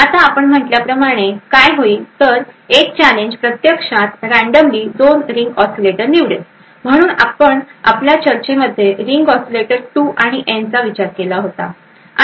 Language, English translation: Marathi, Now as we mentioned, what is done is that a challenge would actually pick 2 ring oscillators at random, so we had considered in our discussion the ring oscillator 2 and N